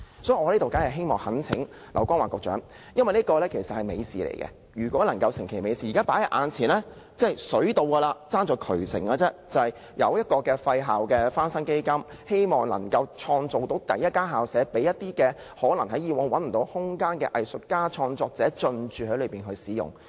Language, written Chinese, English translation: Cantonese, 所以，我懇請劉江華局長，因為這是美事，如果能夠促成美事，現在已經"水到"，還欠"渠成"，現在已經有"廢校翻新基金"，希望能夠敲定第一間棄置校舍，讓一些以往找不到空間的藝術家及創作者進駐使用。, I thus sincerely urge Secretary LAU Kong - wah to take one last step and accomplish a good deed . There is now a fund to restore idle school premises . We hope that the Secretary can select the first idle school premise so that artists and art creators who cannot find a place to operate can use the space there